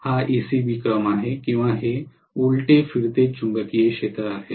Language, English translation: Marathi, This is ACB sequence or this is reverse rotating magnetic field